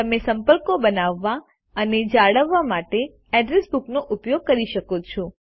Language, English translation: Gujarati, You can use the Address Book to create and maintain contacts